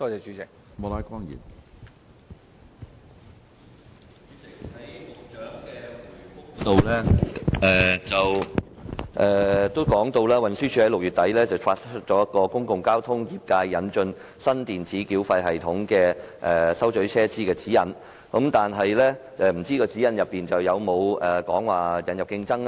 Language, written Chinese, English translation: Cantonese, 主席，局長在主體答覆中提到，運輸署在6月底發出"公共交通業界引進新電子繳費系統收取車資指引"，但不知道該指引有否提及要引入競爭呢？, President the Secretary mentioned in the main reply that at the end of June TD issued Guidelines on the introduction of a new electronic payment system for the collection of fares in the public transport sector but I wonder if the Guidelines mentioned the need to introduce competition